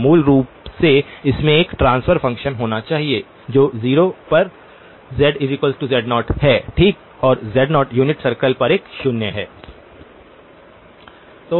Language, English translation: Hindi, So basically it must have a transfer function which is 0 at z equal to z naught okay and z naught is a 0 on the unit circle